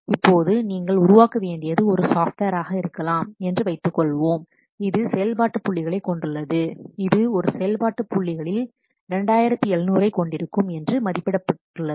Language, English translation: Tamil, Now let's see you suppose you require to develop maybe a software which has function points which is estimated that it will contain say 2,700 of function points